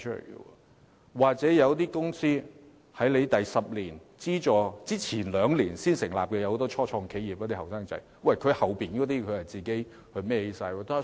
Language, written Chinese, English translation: Cantonese, 又或者有些公司在10年資助期屆滿前的兩年才成立，例如年輕人成立的初創企業，往後便要自行承擔所有費用。, Or for some companies which have just been set up two years before the expiry of the 10 - year funding period such as those start - ups established by young people they will have to bear all the costs themselves in the future